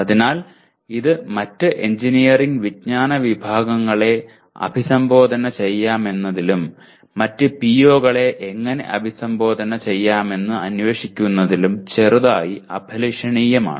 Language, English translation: Malayalam, So this is slightly ambitious in terms of addressing other engineering knowledge categories and also trying to explore how to address the other POs